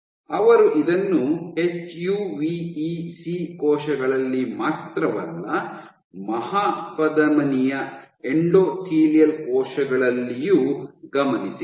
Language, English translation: Kannada, So, this was this they observed not only in HUVEC cells, but also in aortic endothelial cell